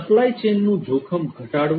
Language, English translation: Gujarati, Minimizing supply chain risk